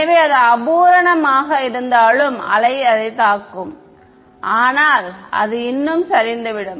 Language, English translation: Tamil, So, that even though is imperfect the wave will hit it, but still it will decay ok